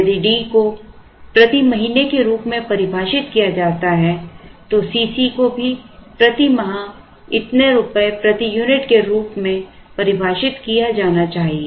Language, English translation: Hindi, Then C c should be defined as rupees per unit per year if D is defined as month then C c should also be defined as, so many rupees per unit per month